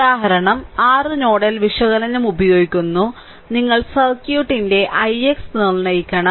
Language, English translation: Malayalam, Then example 6 are using nodal analysis, you have to determine i x right of the circuit